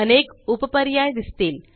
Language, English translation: Marathi, Various sub options are displayed